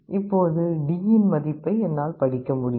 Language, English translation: Tamil, Now I can read the value of D